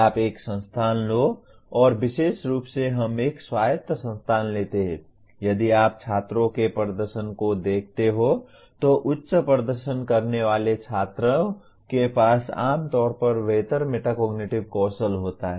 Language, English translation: Hindi, You take an institute and let us say in an autonomous institute especially, if you look at the performance of the students, high performing students generally have better metacognitive skills